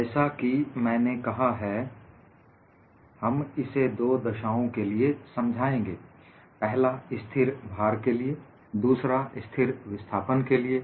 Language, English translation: Hindi, As I mentioned, we would solve this for two extreme cases: one is a constant load; another is a constant displacement